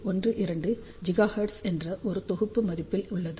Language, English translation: Tamil, 12 gigahertz for one of the set value